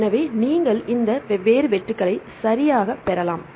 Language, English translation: Tamil, So, here you can get with the two different cutoffs right